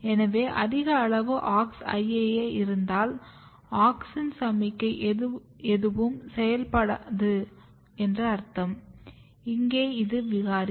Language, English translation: Tamil, So, if you have high amount of Aux IAA it means that no auxin signalling will be activated, and here this is the mutant